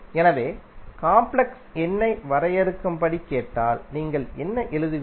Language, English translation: Tamil, So, if you are asked to define the complex number, what you will write